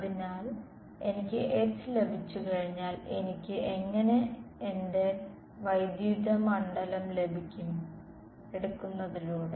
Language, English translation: Malayalam, So, once I have got H, I am done I can get my electric field how; by taking